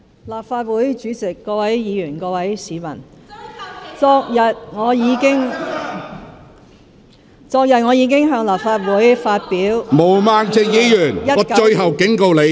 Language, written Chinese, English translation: Cantonese, 立法會主席、各位議員、各位市民，昨日我已經向立法會發表了2019年......, President Honourable Members and fellow citizens yesterday I delivered to the Legislative Council the 2019